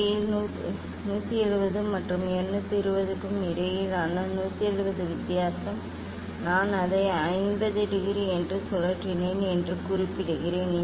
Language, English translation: Tamil, 170 difference between 170 and 220 that is the 50 degree I mention that I rotated it approximately 50